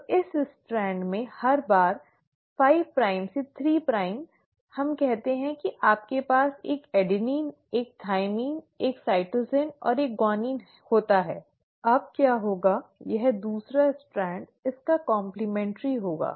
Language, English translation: Hindi, So every time in this strand, 5 prime to 3 prime, you let's say have an adenine, a thymine, a cytosine and a guanine, what will happen is the second strand will be complementary to it